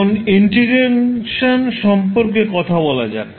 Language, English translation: Bengali, Now let’ us talk about the time integration